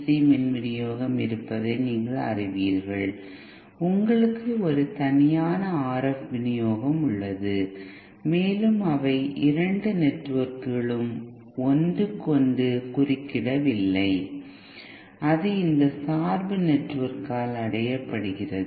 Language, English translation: Tamil, So separation means that you have a different you know you have a separate DC supply, you have a separate RF supply and they are the both the two networks are not interfering with each other and that is achieved by this bias network